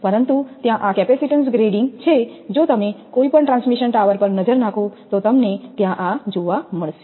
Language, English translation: Gujarati, But this capacitance grading is there if you look at any transmission tower, you will find this is there